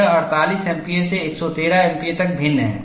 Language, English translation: Hindi, It is varying from 48 MPa to 113 MPa